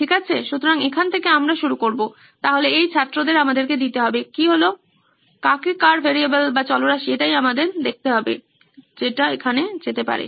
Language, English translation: Bengali, Okay, so that’s where we start, so this student just to give us, who is whom, whose variable are we looking at, so that could go here